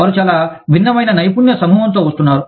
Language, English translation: Telugu, They are bringing, very different skill sets